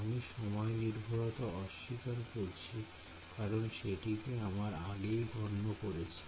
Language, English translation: Bengali, I am ignoring the time dependency we have already taken care of that